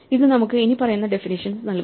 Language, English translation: Malayalam, This gives us the following definitions